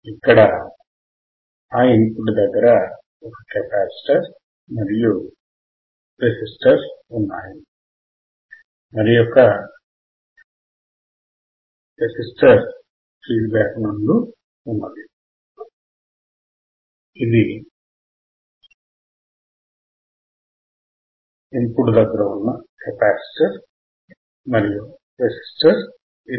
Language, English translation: Telugu, Here we have the capacitor at the input and we have a resistor which we have seen here and then we have a resistor which is feedback